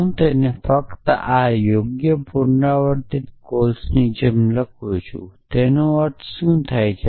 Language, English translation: Gujarati, So, make I just write it like this appropriate recursive calls what does it mean that